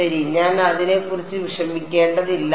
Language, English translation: Malayalam, Well I would not worry about it